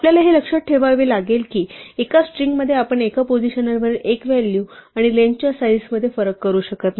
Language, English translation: Marathi, Just remember this that in a string we cannot distinguish between a single value at a position and a slice of length one